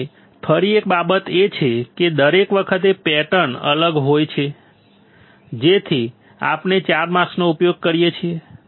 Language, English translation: Gujarati, Now, again thing is this is because every time the pattern is different right that is why we are using 4 mask